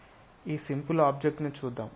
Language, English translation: Telugu, Let us look at for this simple object